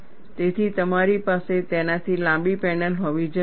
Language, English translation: Gujarati, So, you need to have a panel longer than that